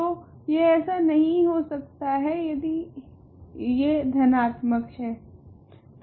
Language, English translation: Hindi, So, it cannot be there if it is positive